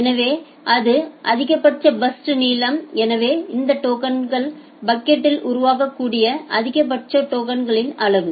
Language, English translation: Tamil, So, this is the maximum burst length so the maximum amount of tokens that can be generated in that token bucket